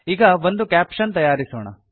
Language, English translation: Kannada, Let us now create a caption